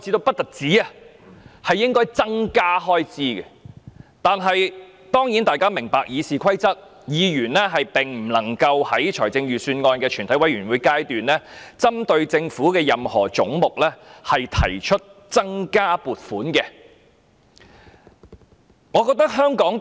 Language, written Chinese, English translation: Cantonese, 不過，大家也明白，根據《議事規則》，議員並不可在全體委員會審議階段，就政府預算案中任何總目提出增加開支的修正案。, Yet we all understand that according to the Rules of Procedure Members are not allowed to propose any amendment which would increase the expenditure under any head in the Budget of the Government at the Committee stage